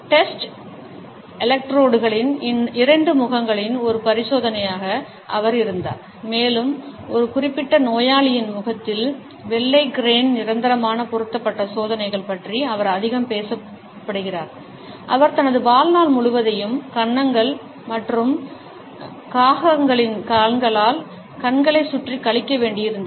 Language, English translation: Tamil, He had as an experiment at test electrodes two faces and he is most talked about experiments resulted in a permanent fixture of white crane on a particular patient’s face who had to spend rest of his life with puffed up cheeks and crow’s feet around his eyes